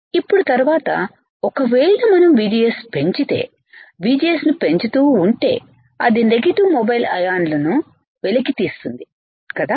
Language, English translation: Telugu, Now, later VGS if we increase, if we keep on increasing VGS it causes uncovering of negative mobile ions right which forms the channel